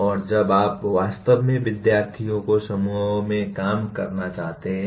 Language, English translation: Hindi, And when do you actually want to work students in groups